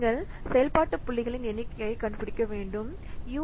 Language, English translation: Tamil, So then you have to find out the number of function points